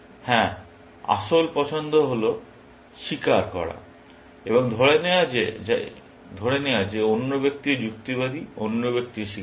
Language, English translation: Bengali, Yes, the actual choice is to confess, and assuming that the other person is also rational; other person also confess